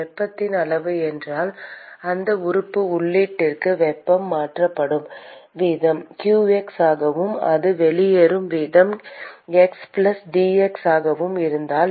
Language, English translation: Tamil, And if the amount of heat that the rate at which heat is transferred to that element input is qx and if the rate at which it leaves is q of x+dx